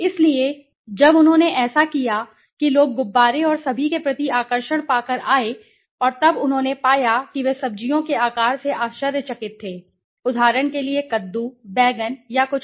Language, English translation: Hindi, So, when he did that people came by getting an attraction towards the balloons and all and then they found they were surprised by the size of the vegetables for example the pumpkin, the brinjal or something